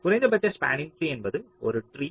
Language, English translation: Tamil, one possible spanning tree can be